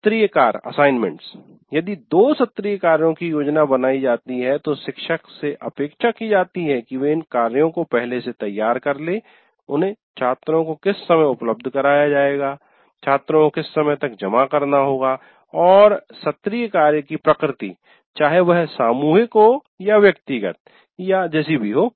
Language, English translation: Hindi, Let's say you are planning to give two assignments and the teacher is expected to prepare these assignments in advance and at what time they would be made available to the students and by what time the students need to submit and the nature of assignments whether it is group or individual assignments and so on